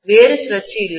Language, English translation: Tamil, There is no other turn